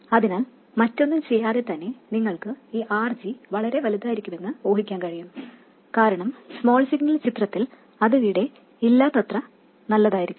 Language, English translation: Malayalam, So even without doing anything else, you can guess that this RG has to be very large, because in the small signal picture it should be as good as not being there